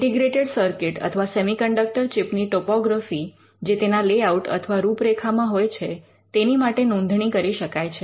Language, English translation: Gujarati, Topography of integrated circuits of semiconductor chips, they could be a registration for layout of integrated circuits